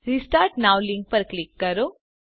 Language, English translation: Gujarati, Click on the Restart now link